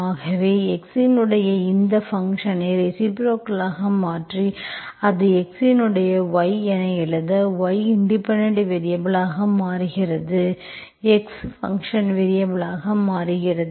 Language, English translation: Tamil, So in that sense once you invert this function y of x and you write it as x of y, y becomes independent variable, x becomes dependent variable